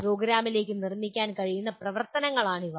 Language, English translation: Malayalam, These are the activities that can be built into the program